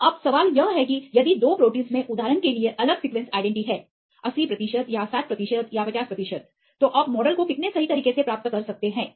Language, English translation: Hindi, So, now the question is if 2 proteins have different sequence identity for example, 80 percent or 60 percent or 50 percent how accurate you can obtain the model